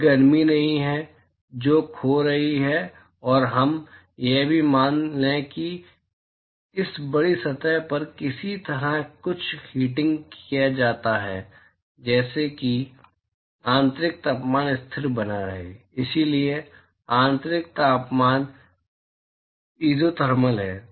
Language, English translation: Hindi, There is no heat that is being lost and let us also assume that there is somehow some heating is done to this large surface, such that the internal temperature is maintained constant, so, internal temperature is isothermal